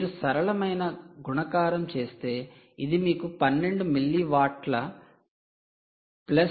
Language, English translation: Telugu, if you do a simple multiplication, this will give you twelve milliwatts plus one point five milliwatts